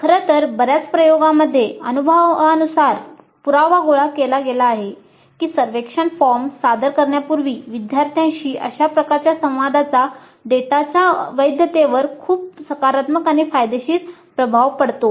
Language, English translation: Marathi, In fact, in many of the experiments, empirically evidence has been gathered that such a interaction with the students before administering the survey form has very positive beneficial impact on the validity of the data